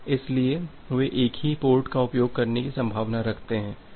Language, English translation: Hindi, So, they are likely to use the same port